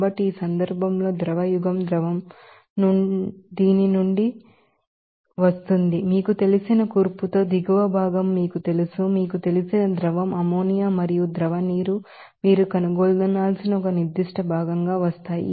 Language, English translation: Telugu, So, in this case the liquid era liquid will be coming from this you know bottom part with the composition of you know, that liquid ammonia and liquid water you know will be coming as a certain fraction that you have to find out